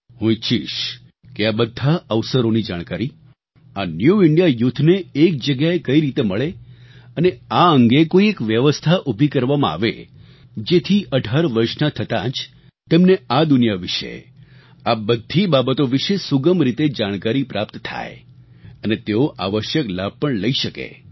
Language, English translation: Gujarati, I wish that the New India Youth get information and details of all these new opportunities and plans at one place and a system be created so that every young person on turning 18 should automatically get to know all this and benefit from it